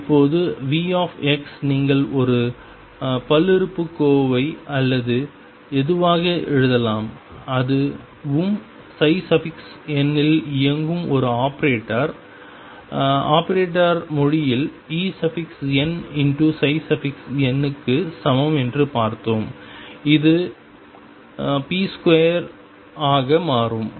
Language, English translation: Tamil, Now v x you can write as a polynomial or whatever and we saw that that also is like an operator operating on psi n is equal to E n psi n in operator language this will become this as p square